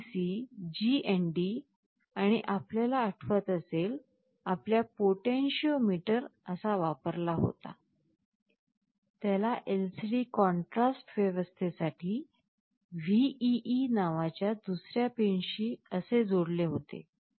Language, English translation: Marathi, And of course, Vcc, GND and you recall there is a potentiometer that we used like this, we connect it to another pin called VEE for LCD contrast arrangement